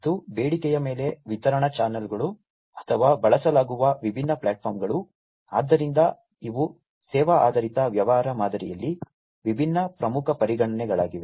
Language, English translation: Kannada, And the distribution channels on demand or the different platforms that are used, so these are also different important considerations in the Service Oriented business model